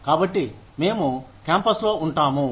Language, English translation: Telugu, So, we stay on campus